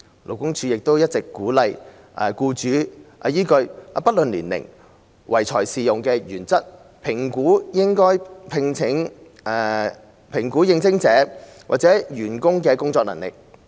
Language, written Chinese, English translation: Cantonese, 勞工處亦一直鼓勵僱主依據"不論年齡，唯才是用"的原則，評估應徵者或員工的工作能力。, LD has also encouraged employers to evaluate the abilities of the job candidates or their staff members on the principle of counting on talent not age in employment